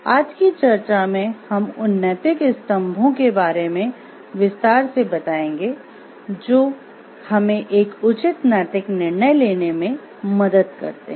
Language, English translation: Hindi, In today’s discussion we will elaborate on those moral ethical pillars which help us to take a proper ethical decision